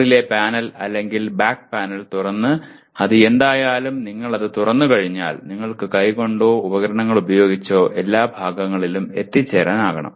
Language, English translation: Malayalam, Once you open that by opening the top panel or back panel and whatever it is, then you should be able to reach all parts by hand or using tools